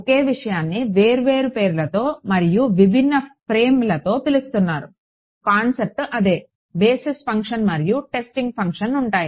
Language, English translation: Telugu, The same thing is being called by different names and different frames; the concept is the same basis function, testing function that is all